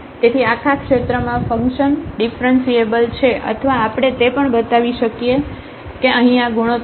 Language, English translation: Gujarati, So, the function is differentiable in the whole domain or we can also show that this here the ratio